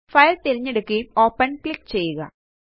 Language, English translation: Malayalam, Select the file and click on Open